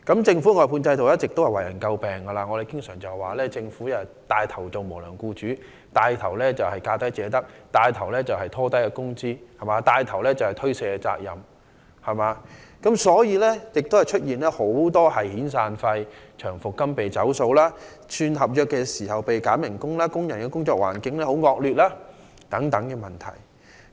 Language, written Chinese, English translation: Cantonese, 政府外判制度一直為人詬病，我們經常指責政府牽頭當無良僱主、牽頭實行"價低者得"的做法、牽頭拉低工資、牽頭推卸責任，因此出現遣散費及長期服務金被"走數"、轉合約時被扣減工資、工人工作環境惡劣等問題。, The Governments outsourcing system has come under criticism all along . We always reprimand the Government for setting the first example of an unscrupulous employer and taking the lead to adopt the practice of the lowest bidder wins bring down wages and shirk its responsibility . All this has given rise to defaults on severance payments and long - service payments wage reduction at the change of contracts and also appalling working conditions for employees